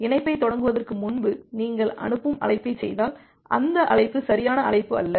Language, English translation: Tamil, So, if you are making a send call before initiating the connection, so that call is not a valid call